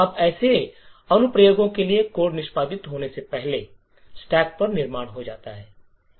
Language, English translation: Hindi, Now for such applications the code gets constructed on the stack before it gets executed